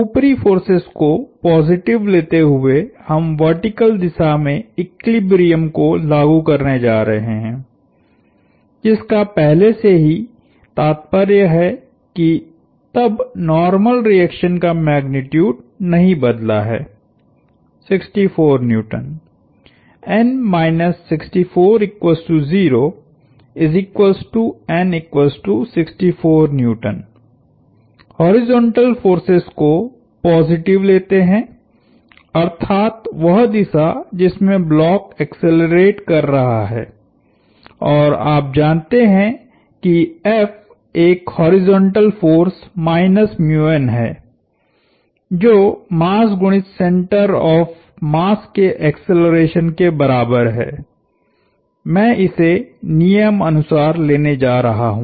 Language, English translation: Hindi, So, let us first do the sum of all forces acting on the body equals mass times the acceleration of the center of mass taking upper forces positive, we are going to invoke equilibrium in the vertical direction which already implies that then magnitude of the normal reaction is not changed 64 Newtons taking horizontal positive, horizontal forces positive and that is the direction in which the block is accelerating and you know that F is a horizontal force minus mu times N equals the mass times the acceleration of the center of mass I am going to keep this precise